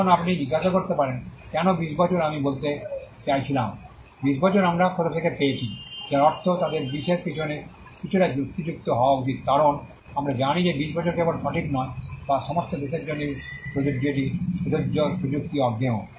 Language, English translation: Bengali, Now you may ask why 20 years, I mean where did we get the 20 years from I mean they should be some logic behind 20 because, we know that 20 years is not only true or not only applicable for all countries it is applicable it is technology agnostic